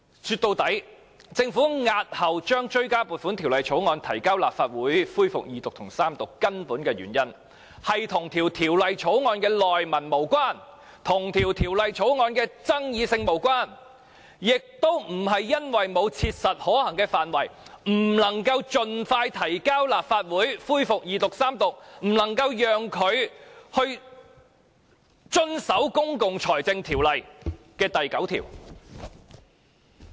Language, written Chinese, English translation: Cantonese, 說到底，政府押後將追加撥款條例草案提交立法會恢復二讀及三讀，根本的原因是與條例草案的內文無關，與條例草案的爭議性無關，亦不是因為沒有切實可行的範圍，因而不能夠盡快提交立法會恢復二讀及三讀，令政府不能遵守《公共財政條例》第9條。, In the final analysis the reason of the Government in deferring the introduction of the Bill into the Legislative Council for resumption of the Second Reading debate and Third Reading has nothing to do with the contents of the Bill; nor is there anything to do with the controversies over the Bill and it is not because it is impracticable to expeditiously introduce the Bill into the Legislative Council for resumption of the Second Reading debate and Third Reading which resulted in the Governments failure to act in compliance with section 9 of PFO